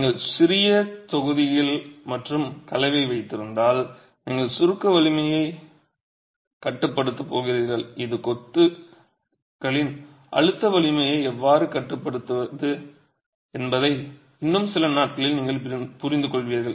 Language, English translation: Tamil, If you use small blocks and have motor, you are going to be limiting the compressive strength and this is something you will understand in a few days from now how the motor is going to be limiting the compressive strength of masonry